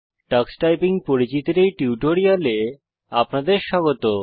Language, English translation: Bengali, Welcome to the Spoken Tutorial on Introduction to Tux Typing